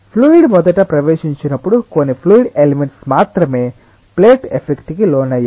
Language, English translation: Telugu, when the fluid first entered, only a few fluid elements were subjected to the effect of the plate